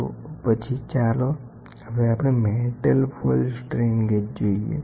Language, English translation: Gujarati, Next, let us see the metal foil strain gauge